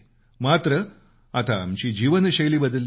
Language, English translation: Marathi, But our lifestyle has changed